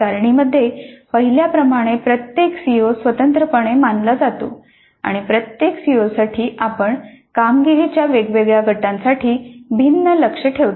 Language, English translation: Marathi, As can be seen in the table, each CO is considered separately and for each CO we set different targets for different groups of performances